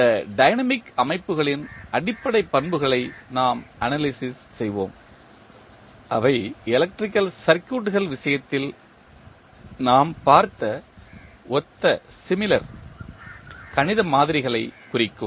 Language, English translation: Tamil, We will review the basic properties of these dynamic systems which represent the similar mathematical models as we saw in case of electrical circuits